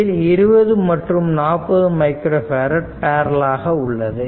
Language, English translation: Tamil, So, when how will that 40 and 20 micro farad are in parallel